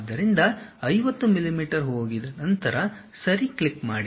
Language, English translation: Kannada, So, go 50 millimeters, then click Ok